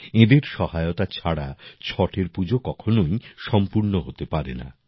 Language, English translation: Bengali, Without their cooperation, the worship of Chhath, simply cannot be completed